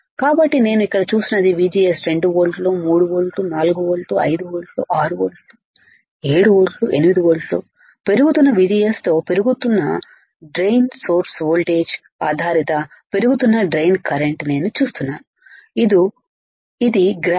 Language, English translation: Telugu, So, what I see here right VGS equals to 2 volts, 3 volts, 4 volts, 5 volts, 6 volts, 7 volt, 8 volt for increasing VGS I can see increasing my in my drain current depending on increasing of my drain to source voltage this is the graph this is the graph right